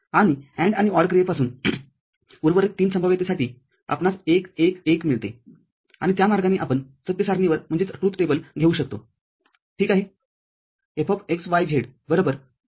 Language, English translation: Marathi, And from the AND and OR operation, we get 1, 1, 1 for the remaining three possibilities, and that way we can come up with the truth table, ok